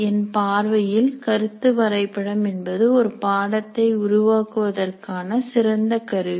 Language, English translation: Tamil, In my personal opinion, concept map is a great thing to create for a course